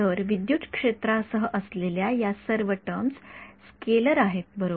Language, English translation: Marathi, So, all of these terms accompanying the electric field are scalars right